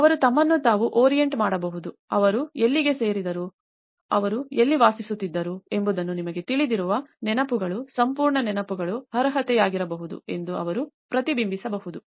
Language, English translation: Kannada, So, they can orient themselves, they can reflect that the memories where they belong to, where they used to live you know, that whole memories could be entitlement